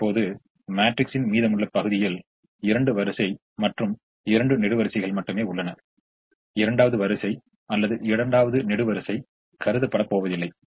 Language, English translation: Tamil, now the remaining part of this matrix has only the first row remaining, only the first row remaining, and it has two columns remaining